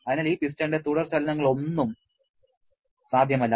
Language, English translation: Malayalam, And so it is not possible to have any further movement of this piston